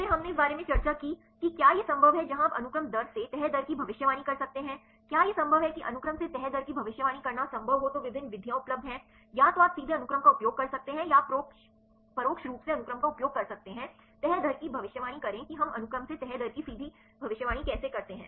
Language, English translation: Hindi, Then we discussed about whether it is possible where you can predict the folding rate from sequence right is it possible to predict the folding rate from sequence there are various methods available right either you can a directly use the sequence or you can indirectly use the sequence to predict the folding rate how we directly predict the folding rate from sequence